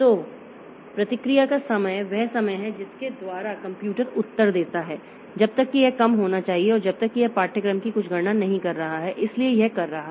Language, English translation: Hindi, So, response time is the time by which the computer comes up with the answer it should be less the until and unless it is doing some computation of course